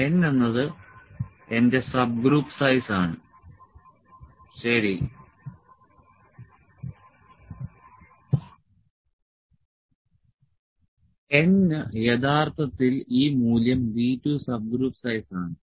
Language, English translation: Malayalam, N is my subgroup size, ok, n is actually this value B 2 subgroup size